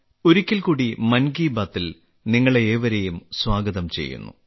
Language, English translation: Malayalam, I extend a warm welcome to you all in 'Mann Ki Baat', once again